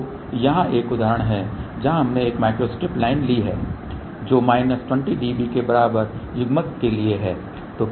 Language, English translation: Hindi, So, here is an example where we have taken a micro strip line which is for coupling equal to minus 20 db